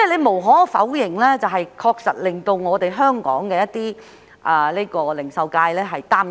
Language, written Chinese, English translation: Cantonese, 無可否認，這確實令香港零售界感到擔憂。, No doubt that this is worrying to our retail sector